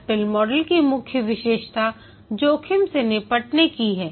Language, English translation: Hindi, The main feature of the spiral model is risk handling